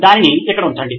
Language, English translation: Telugu, Just put it down here